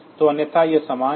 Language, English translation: Hindi, So, otherwise it is same